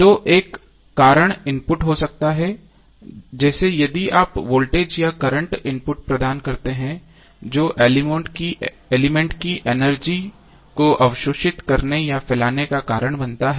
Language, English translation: Hindi, So cause can be an input like if you provide voltage or current input which causes the element to either absorb or dissipate the energy